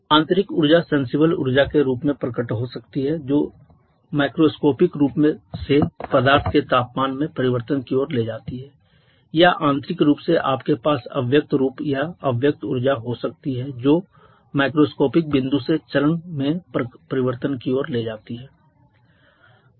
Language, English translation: Hindi, Internal energy can manifest in the form of sensible energy which macroscopic point of view leads to the change in temperature of the substance or internally as you can have latent form or latent energy which leads to the change in phase from macroscopic point of view